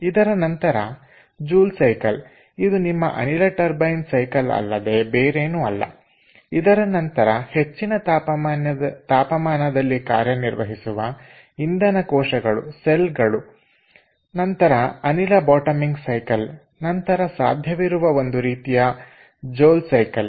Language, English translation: Kannada, then there is joule cycle, which is nothing but your gas turbine cycle, then high temperature fuel cells, then there is air bottoming cycle